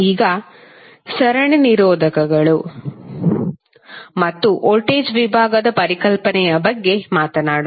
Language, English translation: Kannada, Now, let us talk about the series resistors and the voltage division concepts